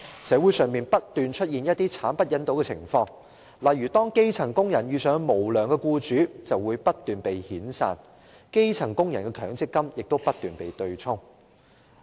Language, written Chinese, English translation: Cantonese, 社會上不斷出現一些慘不忍睹的情況：當基層工人遇上無良僱主，便會不斷被遣散，而基層工人的強積金亦不斷被對沖。, Appalling cases are commonplace in society When grass - roots workers work for unscrupulous employers they will be retrenched time and again and their MPF benefits will continually be offset